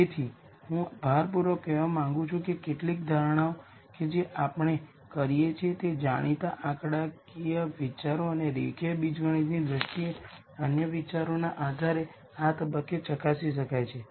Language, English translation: Gujarati, So, I want to emphasize that some of the assumptions that that we make can be verified right at this stage based on known statistical ideas and other ideas in terms of linear algebra and so on